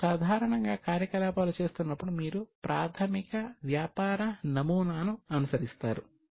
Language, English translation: Telugu, Now, while doing the operations, normally you follow a basic business model